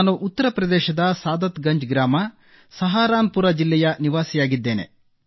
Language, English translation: Kannada, I live in Mohalla Saadatganj, district Saharanpur, Uttar Pradesh